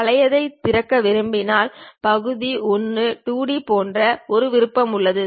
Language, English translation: Tamil, If we want to Open the older one, there is option like Part1 2D